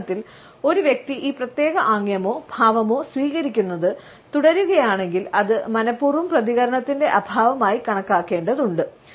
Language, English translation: Malayalam, If in dialogue a person continues to adopt this particular gesture or posture then it has to be taken as a deliberate absence of response